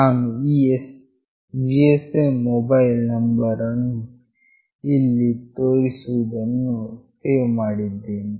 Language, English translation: Kannada, I have saved this GSM mobile number that is being displayed in this